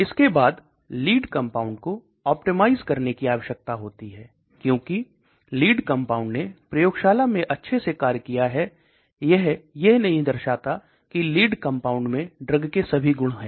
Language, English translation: Hindi, And then we need to optimize the lead because just because the compound acts very well in my lab does not mean it has all the properties of a drug